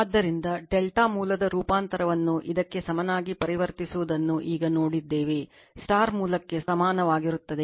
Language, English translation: Kannada, So, just now we have seen that transformation of your delta source to equivalent your what you call this equivalent to your; equivalent to your star source right